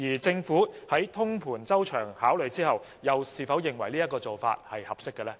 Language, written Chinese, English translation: Cantonese, 政府在通盤周詳考慮後，又是否認為這做法合適？, Does the Government consider the practice appropriate after comprehensive and holistic consideration?